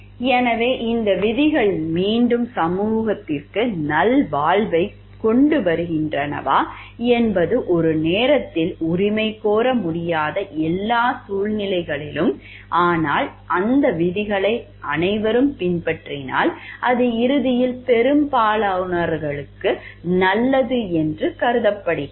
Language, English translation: Tamil, So, whether these rules are again bringing leading to the wellbeing to the society at large at all situations that cannot be claimed in one go, but if everybody follows that rules it is assume the everybody is following then ultimately it is leading to the good of most of the people